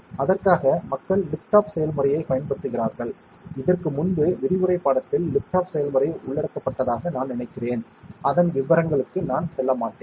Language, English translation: Tamil, So, for that people use lift off process, I think lift off process has been covered in the lecture course before; I will not go into details of it